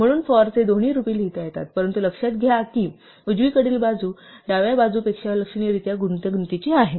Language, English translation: Marathi, So, both forms of the 'for' can be written as while, but notice that the right hand side is significantly more ugly and complicated than the left hand side